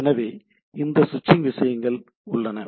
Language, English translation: Tamil, So that there is a switching